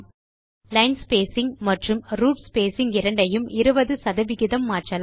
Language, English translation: Tamil, Let us change the spacing, line spacing and root spacing each to 20 percent